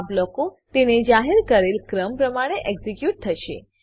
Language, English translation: Gujarati, These blocks will get executed in the order of declaration